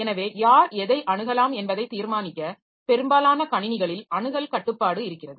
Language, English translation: Tamil, So, access control on most systems to determine who can access what